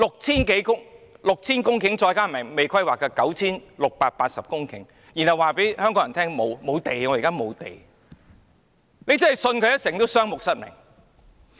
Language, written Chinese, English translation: Cantonese, 現時有 6,000 公頃土地，加上尚未規劃的 9,680 公頃土地，但政府卻對香港人說現在沒有土地，真是"信它一成，雙目失明"。, With the 6 000 hectares of land currently on hand together with the 9 680 hectares of unplanned land the Government tells HongKongers that no land is available now . If you place your faith in the Government you will be blind for sure